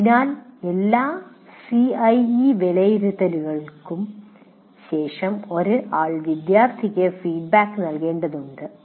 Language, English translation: Malayalam, So one needs to give feedback to students after all CIE assessments